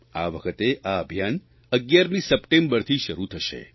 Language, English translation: Gujarati, This time around it will commence on the 11th of September